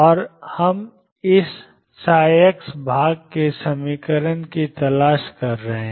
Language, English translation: Hindi, And we are looking for the equation for this psi x part